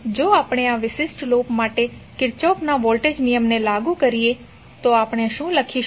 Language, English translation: Gujarati, If we apply Kirchhoff voltage law for this particular loop, what we will write